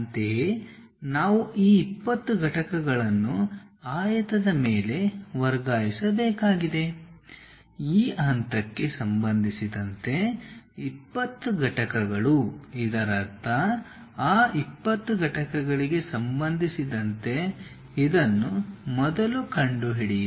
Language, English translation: Kannada, Similarly, we have to transfer this 20 units on the rectangle, with respect to this point 20 units; that means, this is the point with respect to that 20 units first locate it